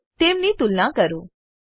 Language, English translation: Gujarati, * And compare them